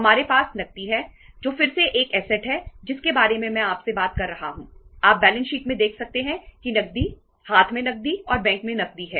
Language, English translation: Hindi, We have say cash is again a next asset I am talking to you, you can see in the balance sheet that is the cash, cash in hand and cash at bank